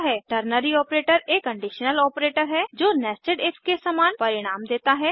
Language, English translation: Hindi, Ternary Operator is a conditional operator providing results similar to nested if